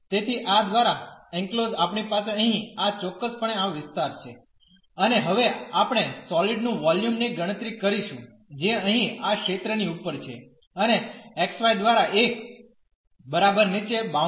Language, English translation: Gujarati, So, the enclosed by this we have precisely this region here and now we will compute the volume of the solid which is above this region here and below the bounded by the xy is equal to 1